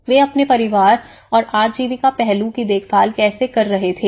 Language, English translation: Hindi, How they were looking after their family and the livelihood aspect